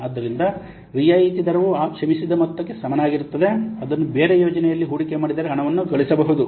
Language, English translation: Kannada, So, discount rate is equivalent to that forgone amount which the money could earn if it were invested in a different project